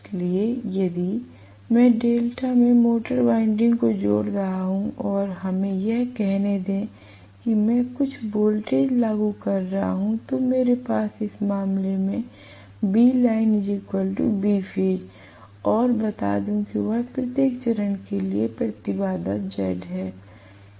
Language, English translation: Hindi, So, if I am connecting the motor winding in delta and let us say I am applying certain voltage, I am going to have in this case V line equal to V phase right and let us say the impedance of each of this phase is Z right